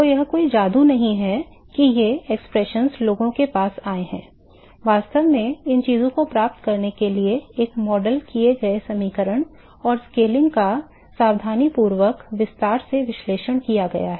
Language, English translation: Hindi, So, it is not the magic that these expressions have come to people have actually done careful detail analysis of the modeled equation and scaling in order to get these things